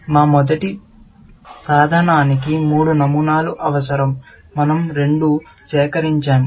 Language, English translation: Telugu, Our first tool needs three patterns; we have collected two